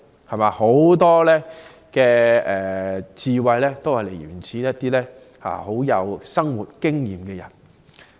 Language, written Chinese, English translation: Cantonese, 很多智慧都是源自一些有豐富生活經驗的人。, Wisdom often comes from people with rich experience in life